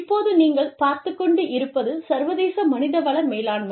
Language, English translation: Tamil, Today, we will talk about, International Human Resource Management